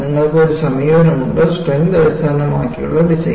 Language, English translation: Malayalam, You have one approach, design based on strength